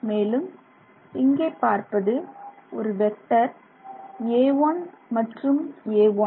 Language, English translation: Tamil, So, now I have just magnified this A1 and A2 vector